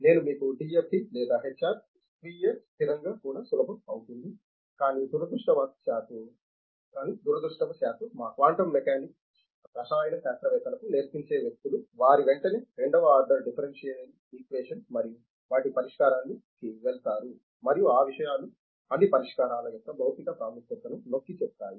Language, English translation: Telugu, As I told you DFD or HR (Refer Time: 30:56) even self consistent it will become easy, but unfortunately our quantum mechanics is people who teach it for the chemists, they immediately go to a second order differential equation and solution of them and all those things since it of the emphasizing the physical significance of the solutions